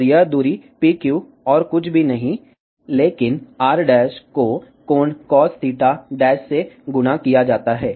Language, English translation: Hindi, And this distance PQ is nothing but r dash multiplied by angle cos theta dash